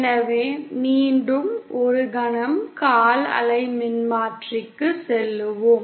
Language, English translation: Tamil, So once again, let’s go back to the quarter wave transformer for a moment